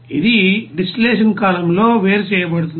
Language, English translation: Telugu, It will be you know that separated in the distillation column